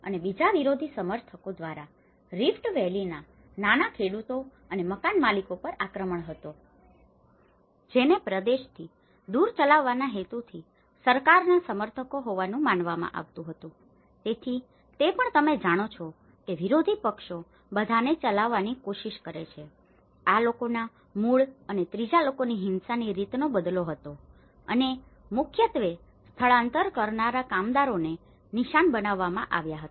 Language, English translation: Gujarati, and the second was an onslaught by opposition supporters on small farmers and landholders in the rift Valley, perceived to be government supporters within the aim of driving them away from the region, so that is also how opposition parties you know make an attempt to drive all these people from the origin and the third one is of the pattern of violence was retaliatory and targeted mainly at the migrant workers